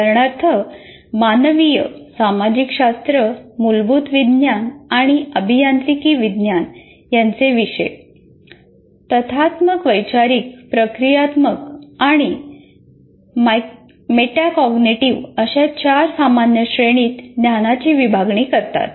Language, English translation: Marathi, For example, courses in humanities, social sciences, basic sciences, courses in humanities, social sciences, basic sciences and engineering sciences deal with the four general categories of knowledge, namely factual, conceptual, procedural and metacognitive